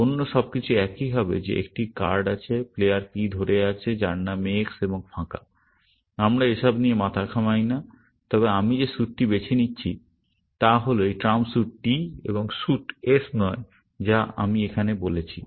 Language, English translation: Bengali, Everything else will be the same that there is a card, held by player P, whose name is X, and blank; we are not bothered about here, but this suit that I am selecting is this trump suit T, and not the suit s, which I have said here